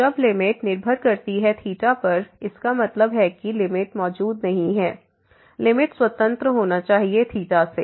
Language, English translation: Hindi, So, when the limit depends on theta; that means, the limit does not exist the limit should be independent of theta